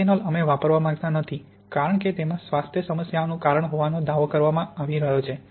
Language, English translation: Gujarati, Methanol we tend not to use because it is being claimed to have cause health problems